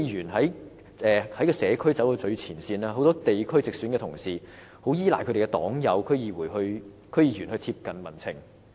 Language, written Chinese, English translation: Cantonese, 區議員走在社區最前線，很多地區直選的同事也依賴他們的區議員黨友來貼緊民情。, Many directly elected members of the Legislative Council rely on their party members in DCs who are in the front line of district work to keep a close tab on the public pulse